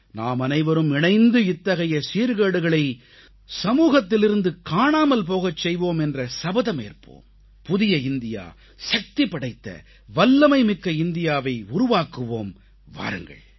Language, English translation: Tamil, Come, let us pledge to come together to wipe out these evil customs from our social fabric… let us build an empowered, capable New India